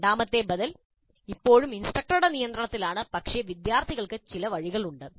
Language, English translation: Malayalam, The second alternative is that instructor is still in controls, but students have some choice